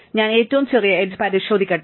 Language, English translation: Malayalam, Let me check the smallest edge